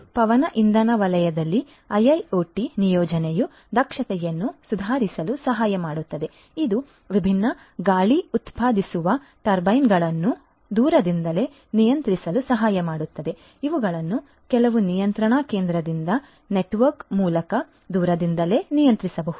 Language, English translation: Kannada, In the wind energy sector likewise IIoT deployment can help in improving the efficiency this can also help in remotely controlling the different you know the wind generating turbines these could be controlled remotely over a network from some control station